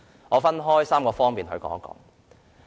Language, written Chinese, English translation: Cantonese, 我會就3方面發言。, I will speak on three aspects